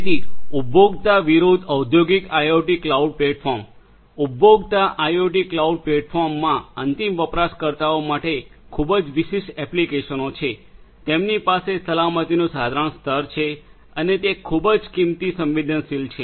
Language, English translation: Gujarati, So, consumer versus industrial IoT cloud platforms, consumer IoT cloud platforms have very specific applications for from end users, they have modest levels of security implemented and they are very cost sensitive